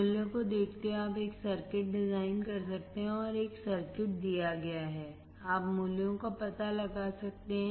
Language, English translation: Hindi, Given the values, you can design a circuit; and given a circuit, you can find out the values